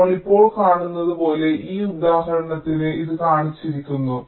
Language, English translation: Malayalam, this is shown in these example, as we see now